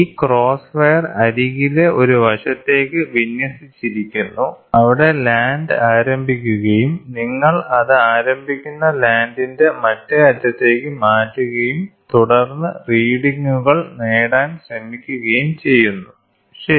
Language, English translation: Malayalam, So, this cross wire is aligned to one side of the of the one edge, where the land starts and you have to move it to the other end of the land starts and then you try to get the readings, ok